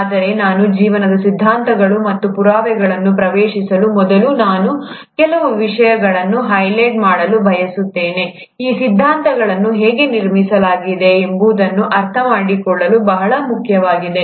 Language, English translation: Kannada, But before I get into the theories and evidences of life, I want to highlight certain things, which are very important to understand how these theories were built up